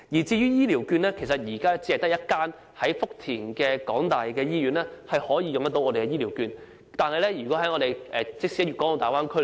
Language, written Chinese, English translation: Cantonese, 至於醫療券，現時只有一間由香港大學在福田經營的醫院可以使用醫療券，即使在大灣區......, As for health care vouchers they are applicable only to a hospital operated by the University of Hong Kong HKU in Futian